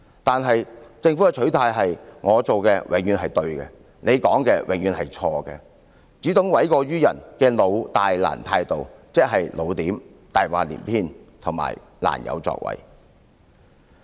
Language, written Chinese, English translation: Cantonese, 可是政府的取態是"我做的永遠是對的，你說的永遠是錯的"，只懂諉過於人的"老、大、難"態度，即"老點"、"大話連篇"和"難有作為"。, However the governments attitude is that I will always be right; what you say is always wrong . It only persists in its old big and difficult attitude of older style bigger lies and more difficult to act